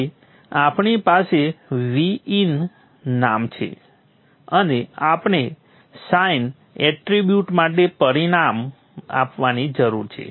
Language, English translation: Gujarati, So we have the name VIN and we need to provide the parameter for the sign attribute